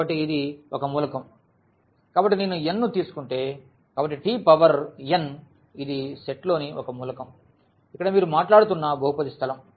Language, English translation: Telugu, So, t power n this is one element of this set here the polynomial space which you are talking about